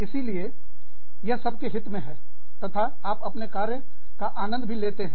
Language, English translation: Hindi, So, it is in everybody's favor, plus, you enjoy your work